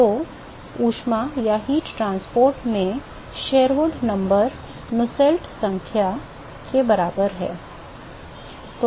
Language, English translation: Hindi, So, Sherwood number is equivalent for Nusselt number in heat transport